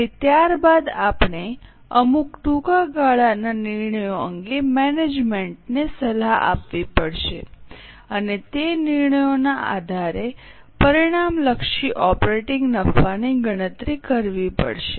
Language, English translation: Gujarati, And then we have to advise the management on certain short term decisions and compute the resultant operating profit based on those decisions